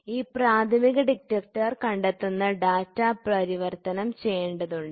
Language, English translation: Malayalam, Once this primary detector detects, so, now, then this data has to be converted